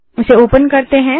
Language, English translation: Hindi, Lets open it